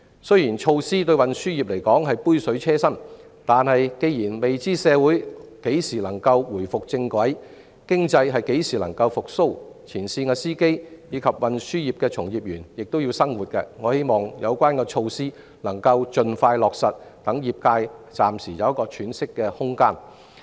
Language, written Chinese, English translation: Cantonese, 雖然相關措施對運輸業而言只是杯水車薪，但既然未知社會何時能夠重回正軌，經濟何時才能復蘇，前線司機和運輸業的從業員也要過活，我希望有關措施能夠盡快落實，讓業界暫時有喘息空間。, While these measures can afford the transport sector only negligible relief I nonetheless hope that they can be implemented expeditiously so as to give the industry some breathing space for the time being . After all nobody knows when society will get back on track and when the economy will recover but frontline drivers and the transport workforce need to feed themselves nonetheless